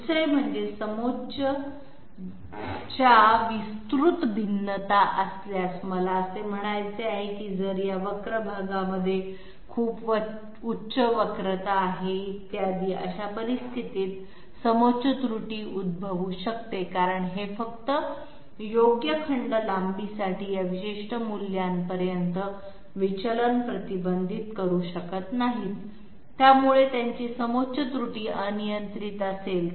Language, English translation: Marathi, Secondly, if there are wide you know variations of the contour; I mean if this curved portion has very high curvatures, etc, in that case contour error might be occurring because this simply cannot restrict the deviation to this particular value for a reasonable segment length okay, so their contour error will be you know uncontrollable